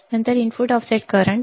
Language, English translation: Marathi, Then the input offset current